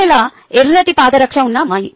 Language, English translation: Telugu, cinderella was that girl with a red shoe